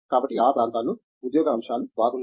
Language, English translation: Telugu, So, job aspects in those areas are good